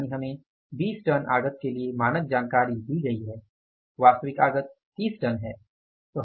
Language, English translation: Hindi, So, it means now we are given the standard information for the 20 tons of input, actually is the 30 tons of input